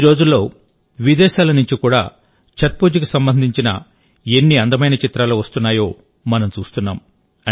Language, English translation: Telugu, Nowadays we see, how many grand pictures of Chhath Puja come from abroad too